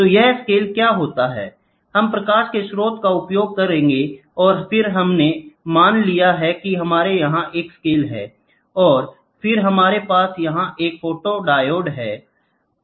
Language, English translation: Hindi, So, these scales what happens is, we will try to have a source of light and then we have assumed that we have a scale here, and then we will have a photodiode here